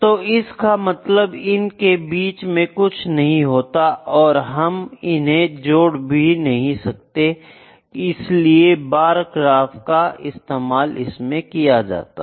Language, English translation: Hindi, So, there is nothing in between that is why we do not connect these, so that is why this just bar graph is used, ok